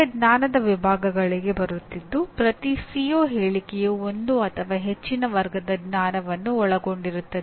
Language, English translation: Kannada, Now coming to the knowledge categories, every CO statement will include one or more categories of knowledge